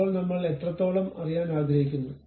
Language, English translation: Malayalam, Now, how far I would like to know